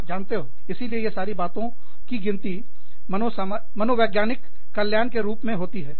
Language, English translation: Hindi, So, you know, all of these things count as, psychological well being